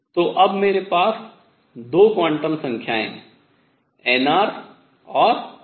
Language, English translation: Hindi, So, now, I have 2 quantum numbers n r and n phi